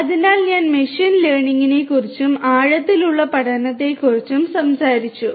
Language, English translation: Malayalam, So, I talked about machine learning and deep learning